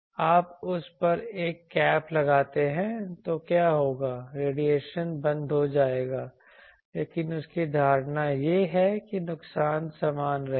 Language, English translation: Hindi, You put a cap on that so what will happen the radiation will get stopped, but his assumption is the loss will remain same